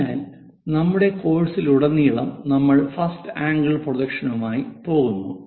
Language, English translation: Malayalam, So, throughout our course we go with first angle projection